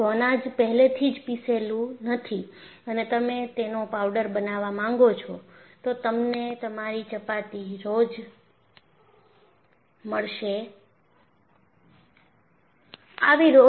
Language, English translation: Gujarati, If the grain is not ground and you make it as a powder,you are not going to get your daily dose of your chapattis